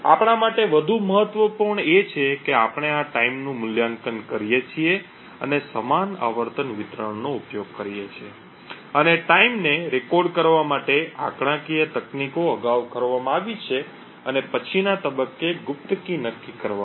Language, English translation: Gujarati, More important for us is that we evaluate these timings and use a similar frequency distribution and statistical techniques has been done previously to record the timing and then at a later point determine the secret key